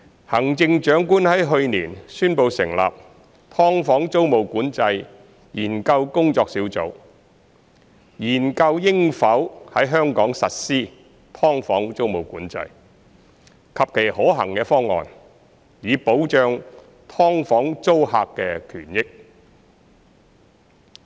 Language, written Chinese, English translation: Cantonese, 行政長官去年宣布成立"劏房"租務管制研究工作小組，研究應否在香港實施"劏房"租務管制及其可行方案，以保障"劏房"租客的權益。, Last year the Chief Executive announced the establishment of the Task Force for the Study on Tenancy Control of Subdivided Units to study whether tenancy control on subdivided units should be implemented in Hong Kong and the possible options so as to protect the rights and interests of tenants of subdivided units